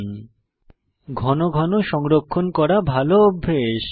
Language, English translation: Bengali, It is a good practice to save the file frequently